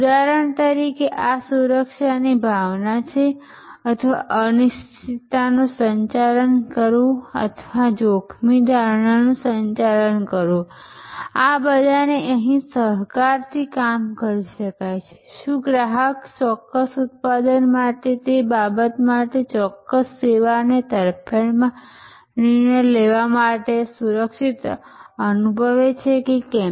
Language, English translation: Gujarati, For example, sense of security, this is sense of security or managing uncertainty or managing the risk perception, all of these can be clubbed here, whether the customer feels secure to decide in favour of a particular service for that matter for a particular product